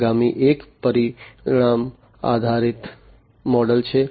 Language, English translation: Gujarati, The next one is the outcome based model